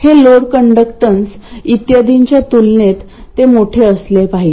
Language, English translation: Marathi, It turns out it should be large compared to the load conductance and so on